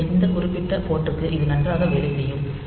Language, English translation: Tamil, So, this will work fine for this particular port